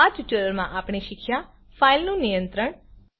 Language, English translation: Gujarati, In this tutorial we learnt, File handling